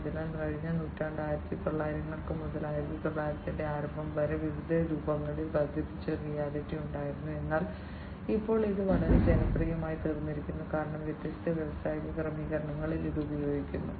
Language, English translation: Malayalam, So, it has been there since the last century 1900 early 1900 till recently augmented reality in different forms was there, but now it has become much more popular, because of its use in different industry settings and different other settings, as well